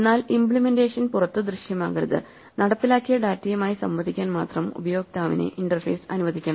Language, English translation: Malayalam, But ideally the implementation should not be visible outside only the interface should allow the user to interact with the implemented data